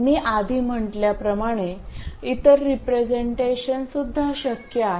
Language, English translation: Marathi, Like I said earlier, other representations are possible